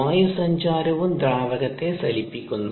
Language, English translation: Malayalam, the aeration also displaces the fluid